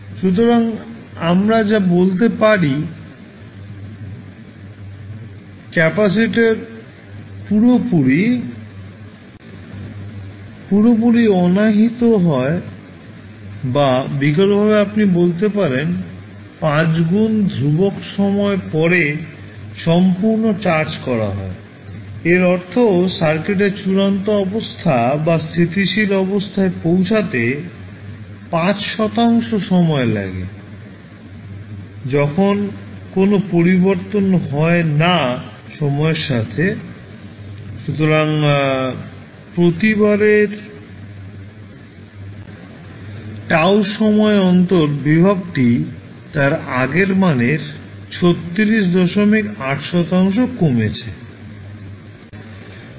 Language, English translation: Bengali, So, what we can say, that, the capacitor is fully discharged or alternatively you can say is fully charged after 5 times constants so, means it takes 5 tau fort the circuit to reach its final state or steady state when, no changes take place with time, so every time interval of tau the voltage is reduced by 36